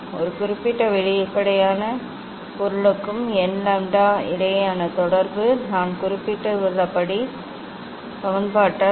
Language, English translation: Tamil, the relation between n lambda for a particular transparent material is given by Cauchy s equation as I mentioned